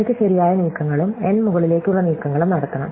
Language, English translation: Malayalam, I have to make m right moves and n up moves